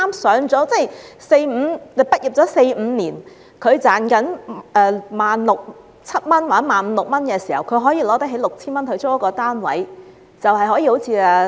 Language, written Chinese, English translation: Cantonese, 這就是大學生畢業四五年後，賺取一萬六七千元或一萬五六千元時，有能力花 6,000 元租住單位的情況。, That was how a university graduate who had graduated for four or five years could afford to rent a flat with 6,000 out of his income of around 15,000 to 17,000